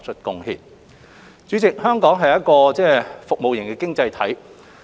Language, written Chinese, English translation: Cantonese, 代理主席，香港是一個服務型的經濟體。, Deputy President Hong Kong is a service economy